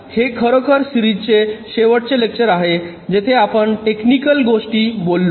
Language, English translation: Marathi, this is actually the last lecture of the series where we talked technical things